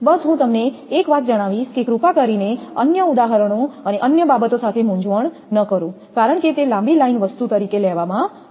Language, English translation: Gujarati, V 1 just let me tell you one thing please do not confuse with other examples and other thing because it is have taken as a long line thing